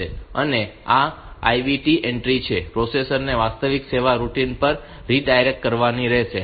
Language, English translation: Gujarati, And this IVT entry, it has to redirect the processor to the actual service routine